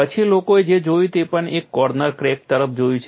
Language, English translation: Gujarati, Then what we looked at we have also looked at a corner crack